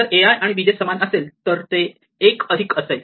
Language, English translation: Marathi, So, if a i and b j work then its fine